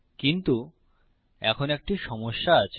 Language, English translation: Bengali, But now weve a problem